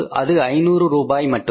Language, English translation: Tamil, It is 5,000 rupees